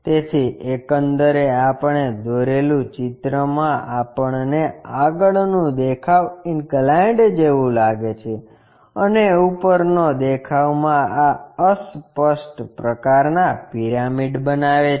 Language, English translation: Gujarati, So, the overall construction gives us the front view looks like an inclined one and the top view makes this obscured kind of pyramid